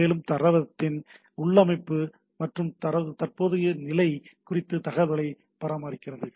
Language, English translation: Tamil, And that maintains information about the configuration and current state of the database, right